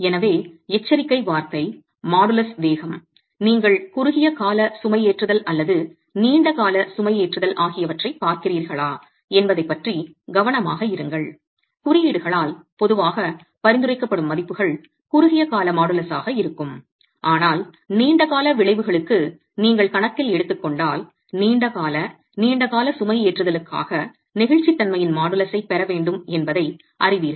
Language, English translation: Tamil, So, word of caution, modulus of elasticity, be conscious whether you are looking at short term loading or long term loading values typically prescribed by codes would be for short term modulus but if you were to make account for long term effects know that you'll have to get the models of elasticity for long term loading itself